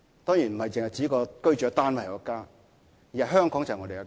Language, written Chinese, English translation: Cantonese, 當然，家不只是指居住的單位，而是說香港是我家。, Of course home does not only refer to the unit we live in; rather he meant Hong Kong is our home